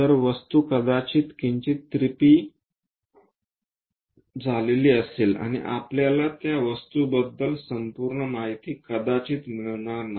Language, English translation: Marathi, So, the object might be slightly skewed and we may not get entire information about the object